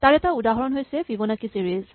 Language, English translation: Assamese, So, one example of that is the Fibonacci series